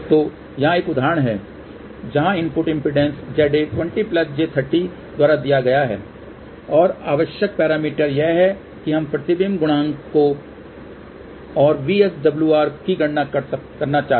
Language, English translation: Hindi, So, here is an example where input impedance is given by Z A equal to 20 plus j 30 Ohm and the required parameters are that we want to calculate reflection coefficient and VSWR